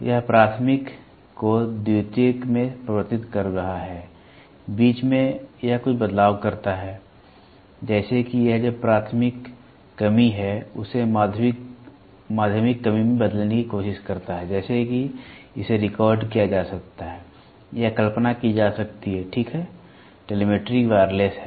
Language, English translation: Hindi, This is converting the primary to secondary, in between it does some changes such that it tries to convert whatever is a primary reduction to the secondary reduction such that it can be recorded or visualized, ok, telemetry is wireless